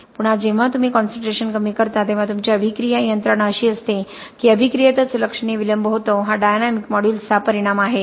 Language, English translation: Marathi, Again when you lower the concentration your attack mechanism is such that the there is a significant delay in the process itself, okay this is just the result in dynamic modulus